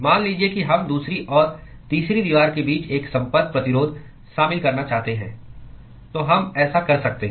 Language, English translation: Hindi, Supposing we want to include a Contact Resistance between the second and the third wall, we could do that